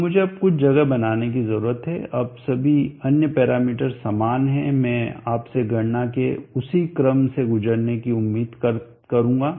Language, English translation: Hindi, So let me now make some space, now on other parameters being same I will expect you to go through the same sequence of calculation I will now point only the difference